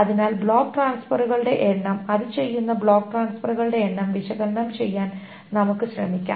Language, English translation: Malayalam, So number of block transfers, let us try to analyze the number of block transfers that it does